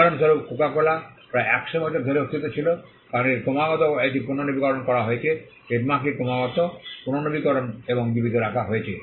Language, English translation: Bengali, For instance, Coca Cola has been in existence for about 100 years, because it has been constantly it renewed the trademark has been constantly renewed and kept alive